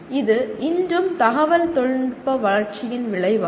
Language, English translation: Tamil, This is still the result of today’s growth in the information technology